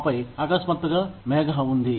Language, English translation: Telugu, And then, suddenly, there was the cloud